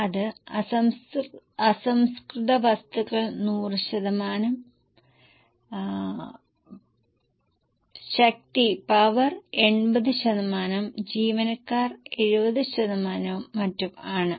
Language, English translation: Malayalam, So, raw material is 100%, power 80%, employee 70%, and so on